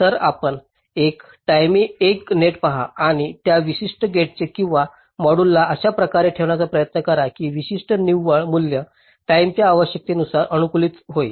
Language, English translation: Marathi, so you look at one net at a time and try to place that particular gate or module in such a way that that particular net value gets optimized in terms of the timing requirement